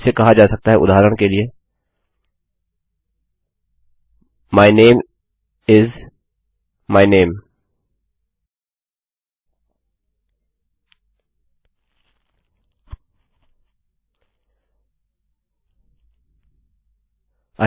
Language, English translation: Hindi, It can be called, for example, my name is my name